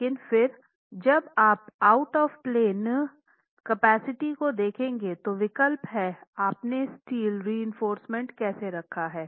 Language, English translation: Hindi, When you are looking at the out of plane capacity, again the choice is how you place the steel reinforcement